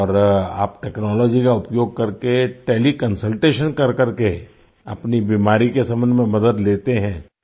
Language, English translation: Hindi, And you take help of technology regarding your illness through teleconsultation